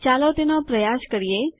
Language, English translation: Gujarati, Lets try it